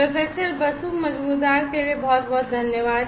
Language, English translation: Hindi, Thank you so much for Professor Basu Majumder